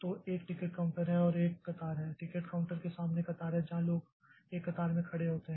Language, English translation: Hindi, There is a queue in front of the ticket counter where people are standing in a queue